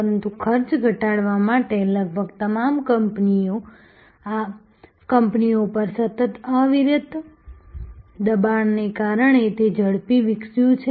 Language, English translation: Gujarati, But, it has also grown rapidly due to a continuous relentless pressure on almost all companies to reduce costs